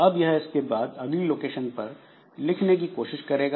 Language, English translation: Hindi, So, it is trying to write on the next location after this